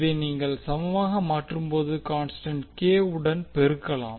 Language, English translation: Tamil, So when you converted into equality, let us multiply with some constant k